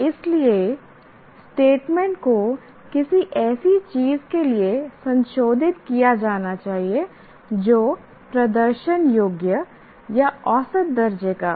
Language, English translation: Hindi, So, the statement should be modified to something that is demonstrable or measurable